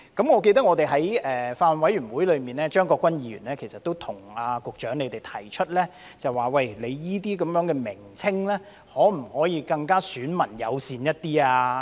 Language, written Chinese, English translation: Cantonese, 我記得在法案委員會會議上，張國鈞議員其實亦曾向局長提出，這些名稱可否更"選民友善"一點。, I remember that at a meeting of the Bills Committee Mr CHEUNG Kwok - kwan also once suggested to the Secretary that these names should be more elector - friendly